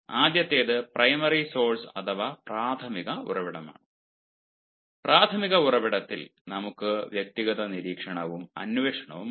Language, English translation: Malayalam, the first is primary source, and in primary source we have personal observation and investigation